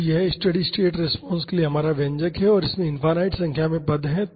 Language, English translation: Hindi, So, this is our expression for the steady state response and this has infinite number of terms